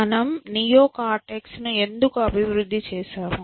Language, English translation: Telugu, So, why did we develop a neocortex